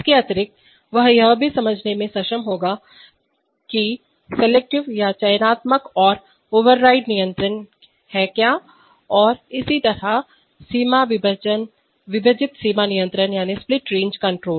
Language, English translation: Hindi, Additionally he will also be able to understand what are, what are selective and override controls and similarly for split range controls